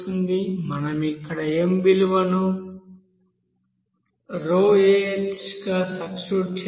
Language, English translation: Telugu, We have just substitute the value of m here as